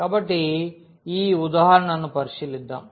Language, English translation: Telugu, So, let us consider this example